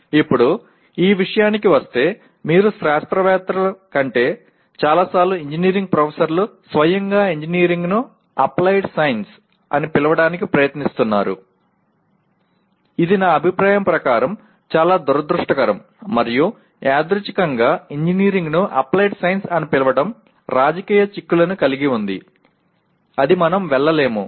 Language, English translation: Telugu, Now, coming to this, many times you see more than scientists, engineering professors themselves trying to call engineering as applied science which in my opinion is very unfortunate and also incidentally calling engineering as applied science has political implications which we will not go through but if you call engineering is applied science that means it is science with some adjective added to that